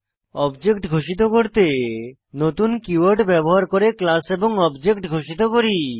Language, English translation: Bengali, How do you declare an object We declare an object of a class using the new keyword